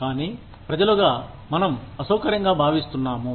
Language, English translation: Telugu, But, we as people, feel uncomfortable